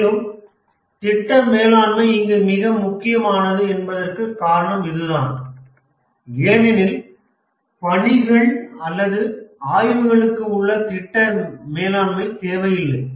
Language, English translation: Tamil, And that's the reason why project management is important here because for the tasks or the exploration you don't need project management